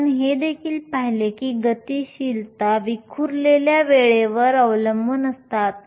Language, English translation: Marathi, We also saw that the mobility depends upon the scattering time